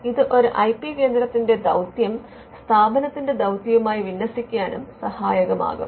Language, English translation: Malayalam, Now, this would also help to align the mission of the IP centre to the mission of the institution itself